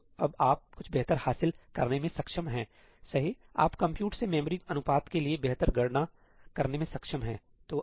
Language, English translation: Hindi, So, now, you are able to achieve something better, right; you are able to get much better compute to memory ratio